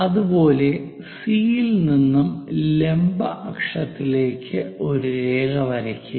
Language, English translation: Malayalam, Similarly, from C to draw a line, all the way to vertical axis